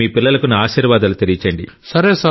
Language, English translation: Telugu, And please convey my blessings to your children